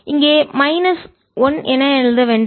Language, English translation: Tamil, let's not write as minus one